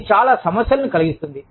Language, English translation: Telugu, That can cause, a lot of problems